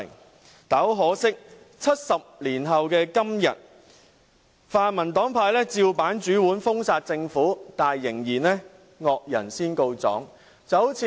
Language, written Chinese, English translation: Cantonese, 不過，可惜的是，在70年後的今天，泛民黨派照樣封殺政府，但仍然"惡人先告狀"。, But sadly 70 years later the pan - democratic camp still adopts the same banning tactic towards the Government today . Nevertheless they keep dismissing the victim as the culprit